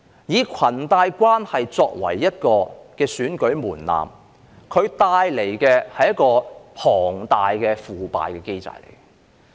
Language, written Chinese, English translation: Cantonese, 以裙帶關係作為一個選舉門檻，它帶來的是龐大的腐敗機制。, The adoption of cronyism as an election threshold will bring about a huge mechanism of corrupt practices